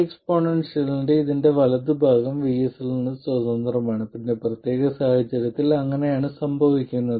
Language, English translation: Malayalam, In this particular case, this exponential, the right hand side of it is independent of VS